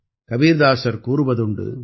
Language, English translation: Tamil, Kabirdas ji used to say,